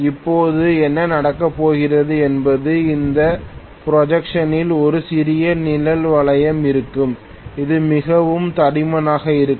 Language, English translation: Tamil, Now, what is going to happen is this protrusion will have a small shading ring, which is very thick